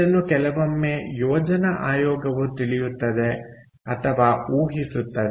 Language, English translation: Kannada, so this sometimes is known or predicted by planning commission